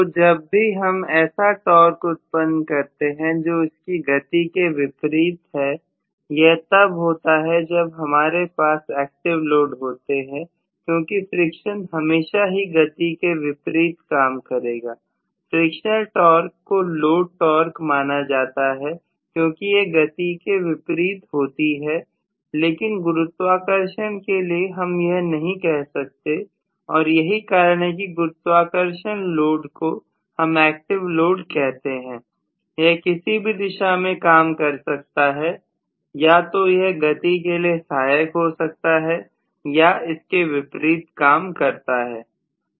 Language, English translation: Hindi, So whenever I develop a torque which will oppose the movement, right, that can specifically happen only in active loads because friction anyway will always oppose the moment, frictional torque is considered to be a load torque all the time because it will always oppose the movement, whereas gravity I cannot say that that is why gravitational loads are generally known as active loads, they can work in either direction, they can either aid the movement or oppose the movement